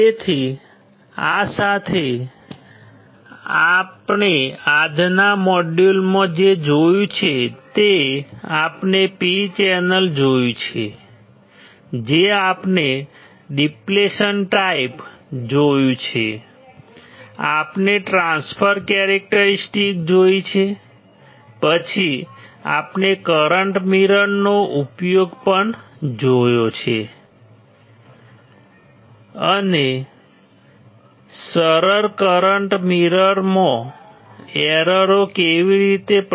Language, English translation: Gujarati, So, with this what we have seen we had in the today’s module, , we have seen P channel we have seen depletion type, MOSFET we have seen the transfer characteristics, then we have also seen the application of the current mirror, and how what are the errors in the simplest current mirror